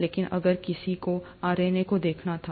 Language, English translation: Hindi, But, if one were to look at RNA